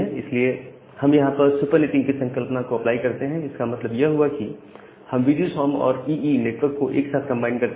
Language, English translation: Hindi, So, here we apply the concept of supernetting that means we combine VGSOM and EE network together